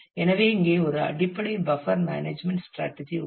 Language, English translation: Tamil, So, here is a basic buffer management strategy